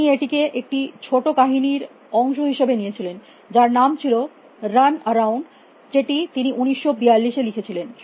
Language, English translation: Bengali, He wrote it as part of a slot story called run around, which he wrote in 1942